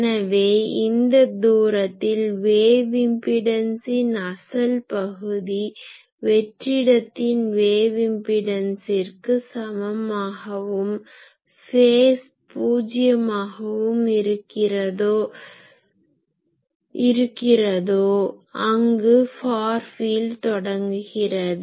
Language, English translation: Tamil, So, I can say that the distance where the real part of wave impedance approaches the free space wave impedance and phase of wave impedance approaches 0 that is the start of a far field